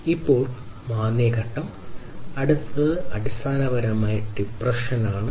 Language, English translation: Malayalam, Then comes the recession phase, recession, and the next one is basically the depression